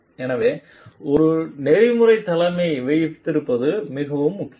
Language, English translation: Tamil, So, it is very important to have a ethical leadership in place